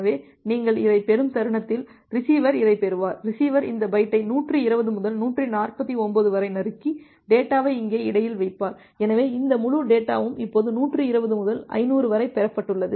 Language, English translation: Tamil, So, the moment you are getting this the receiver will get this, receiver will can put receiver will just chop out this byte from 120 to 149 and put the data here in between; so, this entire data now from 120 to 500 that has been received